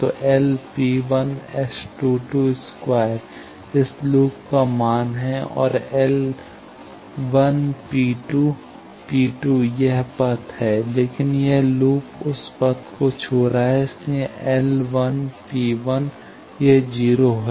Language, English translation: Hindi, So, L 1 P 1 will be S 22 square the value of this loop and L 1 P 2, P 2 is this path, but this loop is touching that path that is why L 1 P 2 is 0